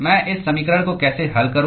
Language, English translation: Hindi, How do I solve this equation